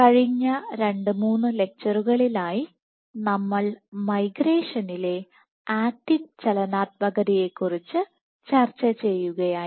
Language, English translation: Malayalam, So, over the last 2 3 lectures we have been discussing about acting dynamics in migration